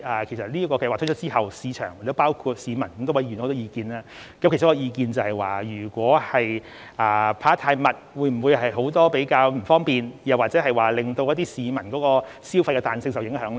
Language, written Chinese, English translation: Cantonese, 其實，該計劃公布後，市場——亦包括市民——提出了許多意見，當中有意見指，如果派發次數太頻密，會否造成許多不便，又或令市民消費的彈性受影響呢？, Actually after the Scheme was announced the market including the public have expressed many views some of which pointed out that frequent disbursements may cause a lot of inconvenience which may affect the spending flexibility of the public